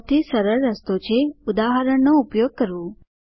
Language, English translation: Gujarati, Easiest way is to use an example